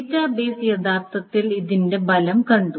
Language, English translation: Malayalam, The database has actually seen the effect of this